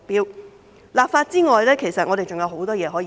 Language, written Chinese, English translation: Cantonese, 除立法之外，其實我們還有很多工作可以做。, Apart from legislation there are actually a lot of things we can do